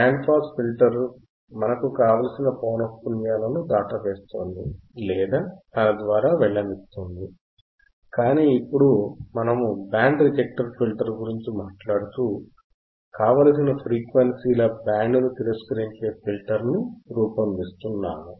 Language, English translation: Telugu, In band pass filter, we are passing the band of frequencies of desired frequencies, but when we talk about band reject filter, then we are designing a filter that will reject the band of frequencies